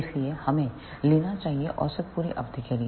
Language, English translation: Hindi, So, we should take the average over full period